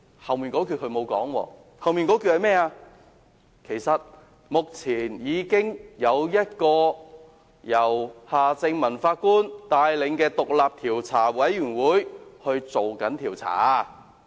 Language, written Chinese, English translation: Cantonese, 可是，他沒有說後半的情況，即目前已有一個由夏正民法官帶領的獨立調查委員會進行調查。, Yet he will not tell the other half of the story ie . the independent Commission of Inquiry led by Mr Justice Michael John HARTMANN has already been set up to conduct an inquiry